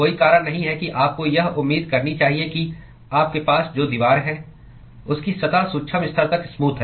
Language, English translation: Hindi, There is no reason why you should expect that the wall that you are having has a smooth surface all the way up to the microscopic level